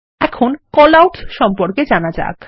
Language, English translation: Bengali, Now, lets learn about Callouts